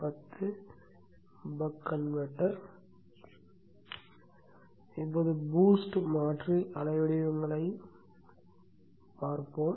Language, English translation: Tamil, Now let us look at the boost converter waveforms